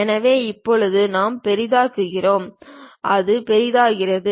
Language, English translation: Tamil, So, now we are zooming in, it is zooming out